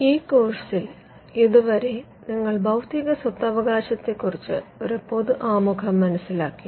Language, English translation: Malayalam, So far, in this course, we have seen a general introduction to Intellectual Property Rights